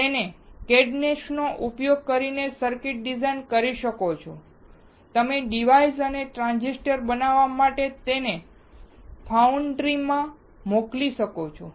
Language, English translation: Gujarati, You can design the circuits using cadence and you can send it to the foundry to manufacture the devices and transistors